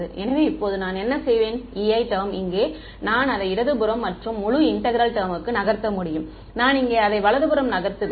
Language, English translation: Tamil, So, now what I will do is this E i term over here I can move it to the left hand side and this whole integral term over here I will move it to the right hand side